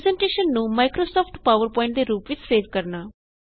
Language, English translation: Punjabi, To save a presentation as Microsoft PowerPoint, Click on File and Save as